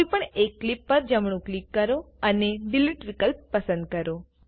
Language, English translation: Gujarati, Right click on any clip and choose the Delete option